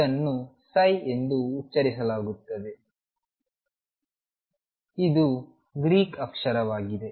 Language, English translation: Kannada, This is pronounced psi it is pronounce as psi, it is Greek letter